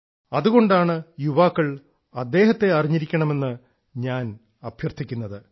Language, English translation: Malayalam, That is why I urge our youngsters to definitely know about him